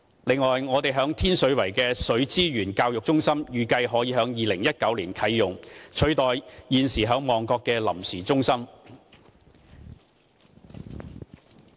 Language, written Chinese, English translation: Cantonese, 此外，我們在天水圍的水資源教育中心預計可在2019年啟用，取代現時在旺角的臨時中心。, In addition our Water Resources Education Centre in Tin Shui Wai is expected to be open for use in 2019 replacing the existing temporary center in Mong Kok